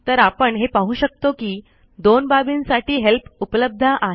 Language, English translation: Marathi, So we can see that we have help available on two things